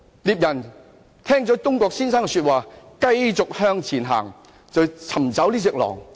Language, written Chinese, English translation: Cantonese, 獵人聽罷東郭先生的話，便繼續向前走尋找狼。, After hearing Mr Dongguos reply the hunter continued to go forward in pursuit of the wolf